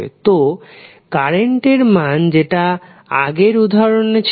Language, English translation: Bengali, So, current i which we saw in the previous example was 5 cos 60 pi t